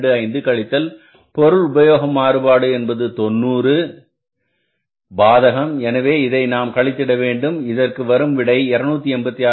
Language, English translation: Tamil, 25 minus the material usage variance that has become 90 adverse, so we are subtracting it and both the sides are 286